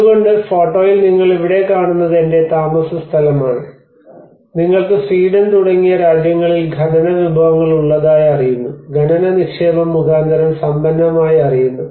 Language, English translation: Malayalam, So in the photograph what you are seeing here is mine, you know countries like Sweden the rich by means of mining investments you know the mining resources